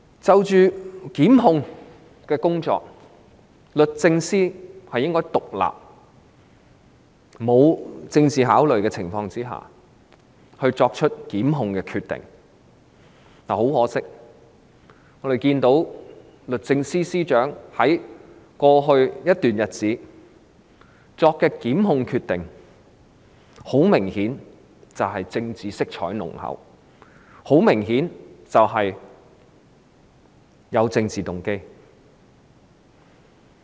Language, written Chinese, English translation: Cantonese, 就檢控工作而言，律政司應在沒有政治考慮的情況下，獨立地作出檢控決定，但很可惜，律政司司長在過去一段時間作出的檢控決定，明顯地有濃厚政治色彩和政治動機。, On prosecution the Secretary for Justice should make prosecution decisions independently without giving political consideration . Regrettably over the past period of time the prosecution decisions made by the Secretary for Justice apparently had strong political colours and political motives